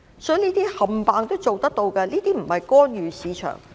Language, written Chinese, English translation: Cantonese, 所以，這些全部都做得到，並非干預市場。, Hence all these things can be done . They are not interference in the market